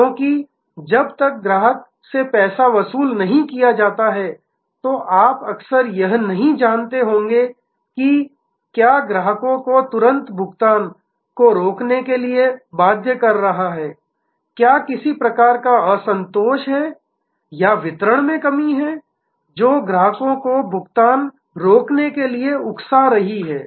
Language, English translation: Hindi, Because, unless the money is collected from the customer you would often not know, what is compelling the customer to hold on to the payment, whether there is some kind of dissatisfaction or lack in deliveries made, which is provoking the customer to retain payment